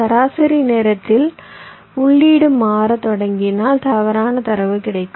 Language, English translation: Tamil, if the input starts changing in the mean time, then there can be wrong data getting in